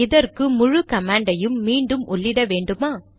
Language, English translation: Tamil, Do we have to type the entire command again